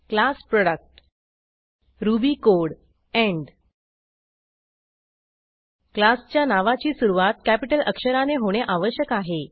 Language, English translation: Marathi, class Product ruby code end The name of the class must begin with a capital letter